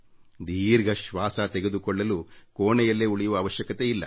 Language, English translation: Kannada, And for deep breathing you do not need to confine yourself to your room